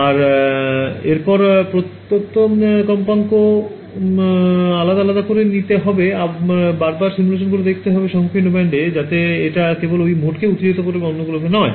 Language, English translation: Bengali, And so, the next thing I could do is pick each one of those frequencies and re run the simulation with the narrow band at those frequencies that will excide only that mode and not the others right